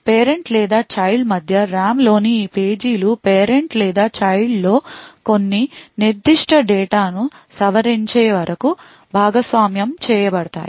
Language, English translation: Telugu, These pages in the RAM between the parent and the child continue to be shared until either the parent or the child modifies some particular data